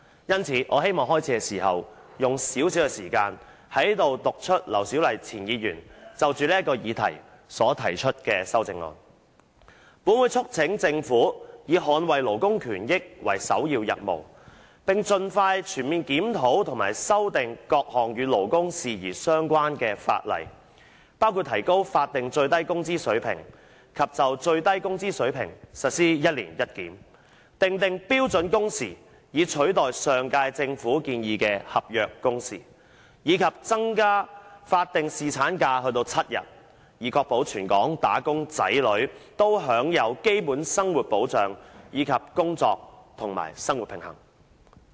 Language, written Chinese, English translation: Cantonese, 因此，我希望在開始發言時用少許時間，讀出前議員劉小麗就這項議案提出的修正案："本會促請政府以捍衞勞工權益為首要任務，並盡快全面檢討及修訂各項與勞工事宜有關的法例，包括提高法定最低工資水平及就最低工資水平實施'一年一檢'、訂定標準工時以取代上屆政府建議的'合約工時'，以及增加法定侍產假至7天，以確保全港'打工仔女'均享有基本生活保障及工作與生活平衡。, Therefore before I come to my speech proper I would like to spend some time reading out the amendment proposed by former Member LAU Siu - lai to this motion That this Council urges the Government to make safeguarding labour rights and interests its priority task and expeditiously conduct a comprehensive review of and make amendments to the various legislation relating to labour matters including raising the statutory minimum wage level and implementing review of the minimum wage level once every year stipulating standard working hours in lieu of contractual working hours proposed by the last - term Government and increasing the statutory paternity leave to seven days so as to ensure that all wage earners in Hong Kong can enjoy protection of a basic living and work - life balance